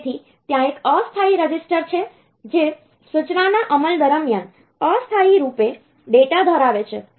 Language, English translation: Gujarati, So, there is a temporary register that holds data temporarily during execution of the instruction